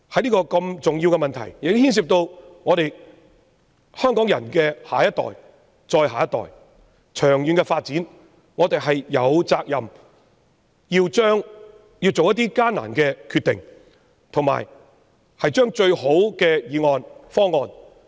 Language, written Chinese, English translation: Cantonese, 因此，在這個牽涉香港人的下一代、再下一代，以及長遠發展的重要問題上，我認為我們有責任作出艱難的決定，並提出最佳方案。, I therefore think that on this critical issue that affects our next generation and the one that follows as well as the long - term development we are obliged to make a tough decision and propose the best possible plan